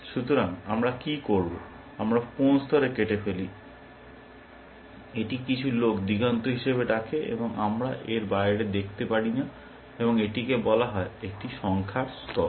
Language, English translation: Bengali, So, what do we do we, cut off at some level, this some people called as a horizon, we cannot see beyond that, and this is called a number of plies